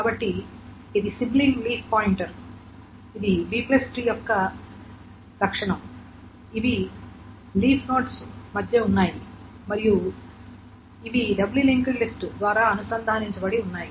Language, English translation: Telugu, So, this is the sibling leaf pointers, this is the property of the B plus T that these are doubly linked list